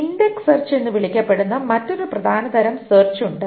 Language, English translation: Malayalam, There is another important kind of search which is called the index search